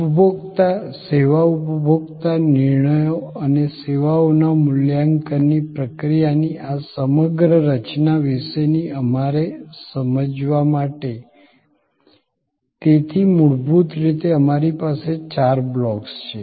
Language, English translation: Gujarati, To create our understanding of this whole structure of consumer, service consumer decision making and the process of evaluation of services, so fundamentally we have four blocks